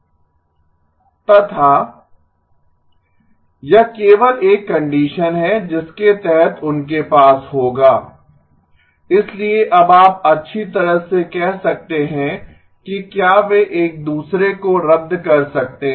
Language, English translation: Hindi, That is only a condition under which they will have, so now you may say well can they cancel each other